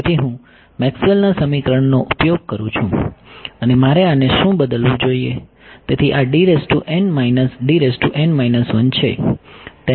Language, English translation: Gujarati, So, I use Maxwell’s equation and what should I replace this by